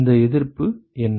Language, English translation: Tamil, What is this resistance